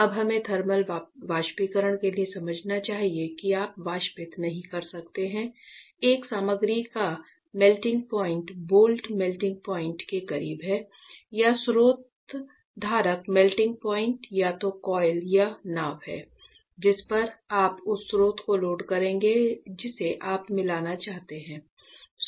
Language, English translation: Hindi, Now we should understand and remember that for thermal evaporation you cannot evaporate a material that has a melting point close to the boat melting point or the source holder melting point either there is coil or boat on which you will load the source which you want to meet